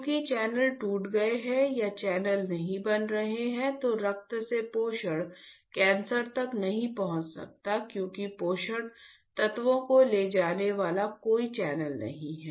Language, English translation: Hindi, Because channels are broken or channels are not forming then the nutrition from the blood cannot reach to the cancer because, there is no channel carrying the nutrients got it